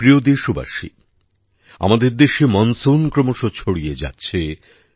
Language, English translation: Bengali, My dear countrymen, monsoon is continuously progressing in our country